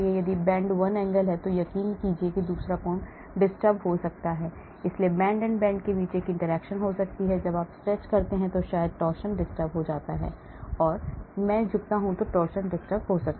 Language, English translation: Hindi, if you bend one angle I am sure another angle may get disturbed, so there could be an interaction between bend and bend and so on, so you could have similarly when we stretch maybe the torsion gets disturbed, when I bend also torsion get disturbed